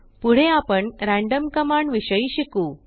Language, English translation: Marathi, Next we will learn about random command